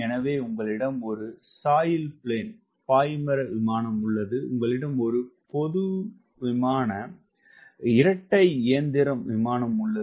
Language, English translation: Tamil, so you have sail plane, you have general aviation airplane, let say twin engine